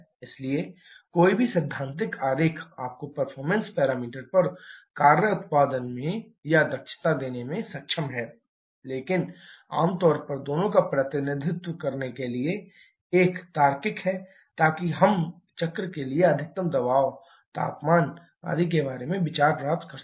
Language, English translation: Hindi, So, any of the diagrams theoretical is sufficient to provide you on the performance parameters in the form of work output or efficiency but generally is a logical to represent both so that we also get ideas about the maximum pressure temperature etc for the cycle